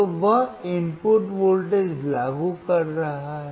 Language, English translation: Hindi, So, he is applying the input voltage